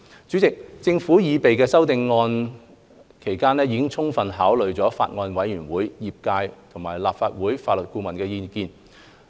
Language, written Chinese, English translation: Cantonese, 主席，政府擬備修正案期間，已充分考慮法案委員會、業界和立法會法律顧問的意見。, Chairman the Government had given full consideration to the views of the Bills Committee the trade and the Legal Adviser of the Legislative Council during the drafting of relevant amendments